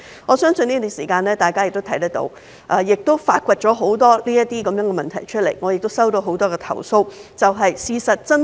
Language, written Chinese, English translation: Cantonese, 我相信大家在這段時間也發現很多這樣的問題，而我亦曾接獲很多相關投訴。, I believe that during this period of time Members have noticed many problems of this sort and I myself have also received many such complaints